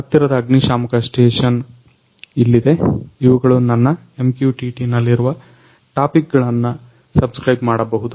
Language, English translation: Kannada, Here is a nearest fire station which can subscribe the topics through which are used in a my MQTT